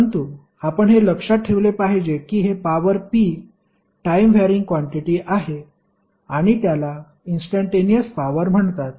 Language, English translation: Marathi, But you have to keep in mind this power p is a time varying quantity and is called a instantaneous power